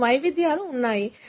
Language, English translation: Telugu, So, you have variations